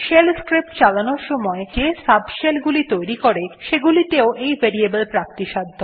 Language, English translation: Bengali, These are also available in subshells spawned by the shell like the ones for running shell scripts